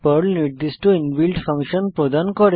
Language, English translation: Bengali, Perl provides certain inbuilt functions